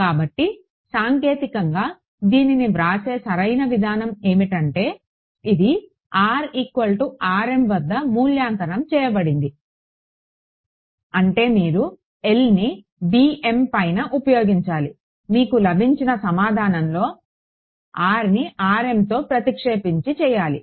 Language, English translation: Telugu, So, the technically correct way of writing it is evaluated at r is equal to r m; means you make L act on b m whatever you get you substitute r equal to r m in that ok